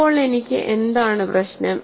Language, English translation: Malayalam, Now, what is the problem I have